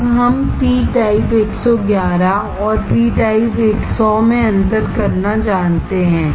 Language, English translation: Hindi, Now, we know to how to distinguish p type 111 and p type 100